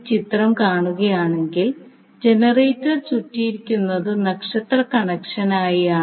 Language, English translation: Malayalam, So, if you see this particular figure the generator is wound in such a way that it is star connected